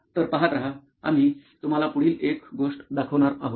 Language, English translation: Marathi, so stay tuned, we are going to show you the next one